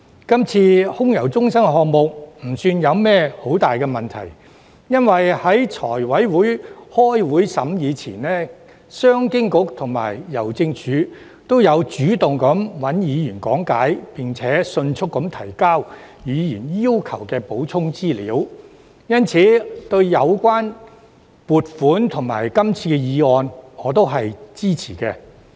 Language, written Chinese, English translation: Cantonese, 今次空郵中心項目不算有甚麼大問題，因為在財委會開會審議前，商務及經濟發展局和郵政署也有主動向議員講解，並迅速提交議員要求的補充資料。因此，對於有關撥款及今次的議案，我都是支持的。, The AMC project does not have any big problem for the Commerce and Economic Development Bureau and Hongkong Post had taken the initiative to explain the motion to Members and submitted the supplementary information required by Members efficiently before the scrutiny of FC at its meetings so I support the funding and motion this time